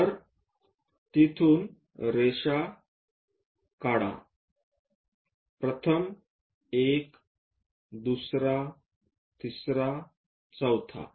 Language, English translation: Marathi, So, from there, draw a lines, first one, second one, third one, fourth one